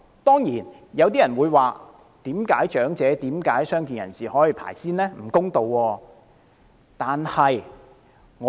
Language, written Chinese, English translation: Cantonese, 當然，有些人會問為何長者和傷健人士可以優先，認為這樣並不公道。, Of course some people would ask why priority should be given to elderly persons and persons with disabilities considering it not fair